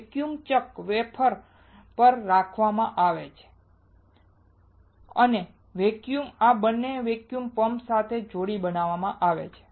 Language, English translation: Gujarati, The wafer is held on the vacuum chuck and this vacuum is created by connecting these two to a vacuum pump